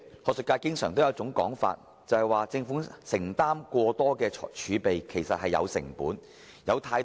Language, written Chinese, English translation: Cantonese, 主席，學術界有一種說法，就是政府坐擁過多儲備，其實也是有成本的。, President the academic circle used to say that there is a cost for the Government to sit on excessive fiscal reserves